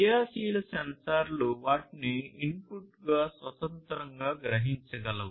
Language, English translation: Telugu, A passive sensor cannot independently sense the input